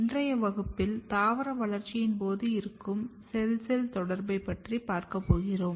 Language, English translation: Tamil, Here we are going to study Cell Cell Communication during Plant Development